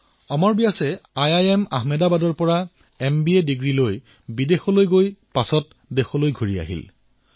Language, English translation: Assamese, Amar Vyas after completing his MBA from IIM Ahmedabad went abroad and later returned